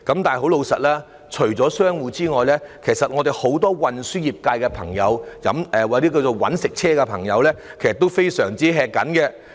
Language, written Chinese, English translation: Cantonese, 但除了商戶外，其實運輸業界很多我們稱為駕駛"搵食車"的朋友，情況也非常吃緊。, However apart from shop operators many members of the transport sector who are drivers of commercial vehicles are also in straitened circumstances